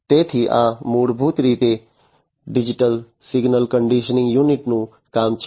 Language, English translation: Gujarati, So, this is basically the work of the digital signal conditioning unit